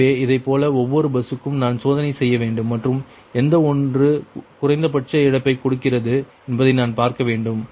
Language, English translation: Tamil, so, similarly, each bus i have to test and i have to see which one is giving the minimum loss